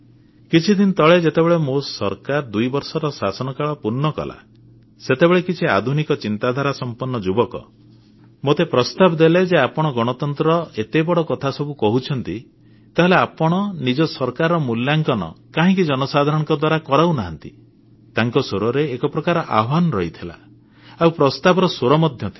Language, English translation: Odia, Recently, when my government completed two years of functioning, some young people of modern thinking suggested, "When you talk such big things about democracy, then why don't you get your government rated by the people also